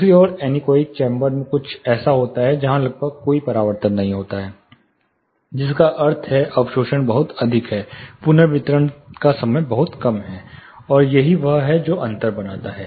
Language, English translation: Hindi, On the other hand anechoic chamber is something where there are almost no reflections, no absorption is very high, the reverberation time is very low, and this is what makes the difference